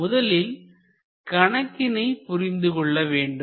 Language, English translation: Tamil, First, you have to understand